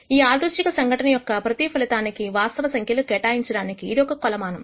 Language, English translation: Telugu, It is a measure which assigns a real value to every outcome of a random phenomena